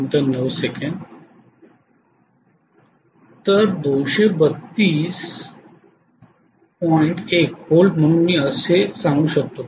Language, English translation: Marathi, 1 volt so I can say 232